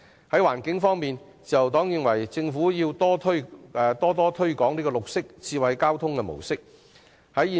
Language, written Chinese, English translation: Cantonese, 在環境方面，自由黨認為政府應加強推廣綠色、智慧交通模式。, Insofar as the environment is concerned the Labour Party considers that the Government should enhance the promotion of green and intelligent transport modes